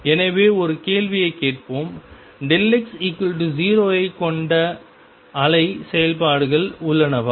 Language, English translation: Tamil, So, let us ask a question, are there wave functions that have either delta x is equal to 0